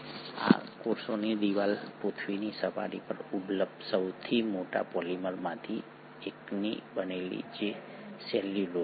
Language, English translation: Gujarati, And this cell wall is made up of one of the largest polymers available on the surface of the earth which is the cellulose